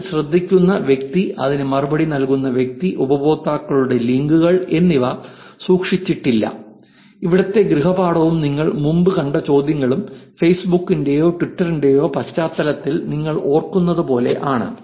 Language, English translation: Malayalam, The person who hearts at that, the person who replies it, the links of the users are not kept, where as if you remember the homework and the questions that you have seen in the past where in the context of facebook or twitter